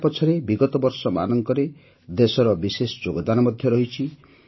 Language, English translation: Odia, There is also a special contribution of the country in the past years behind this